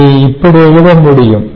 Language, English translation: Tamil, what can we write it